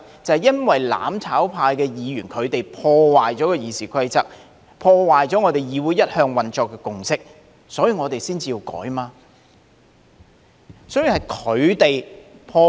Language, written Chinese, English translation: Cantonese, 就是因為"攬炒派"議員破壞了《議事規則》、破壞了議會一向運作的共識，所以我們才要提出修改。, The precise reason is that Members championing mutual destruction have flouted the Rules of Procedure and the long - standing consensus on the operation of the legislature . This is the very reason why we raise the need for amendment